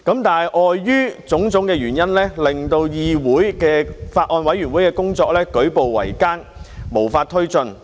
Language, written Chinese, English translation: Cantonese, 但是，礙於種種原因，令到議會內法案委員會的工作舉步維艱，無法推進。, However owing to various reasons the Bills Committee could hardly progress and had no way to take forward its work in the Council . Among the many reasons there were three main obstacles